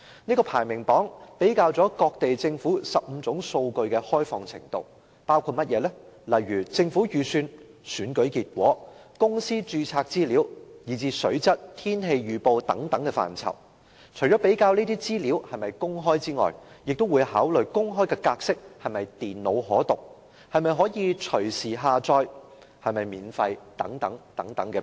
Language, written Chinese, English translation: Cantonese, 這個排名榜比較了各地政府15種數據的開放程度，包括政府預算、選舉結果、公司註冊資料，以至水質、天氣預報等範疇，除了比較這些資料是否公開，也會考慮公開的格式是否電腦可讀、能否隨時下載、是否免費等。, The rankings were set after comparing the degrees of openness in providing 15 types of data by governments including government budgets election results company register water quality and weather forecast etc . Apart from comparing whether the data is accessible to the public consideration is also given to whether the format of the data is computer - readable whether it can be downloaded and free of charge etc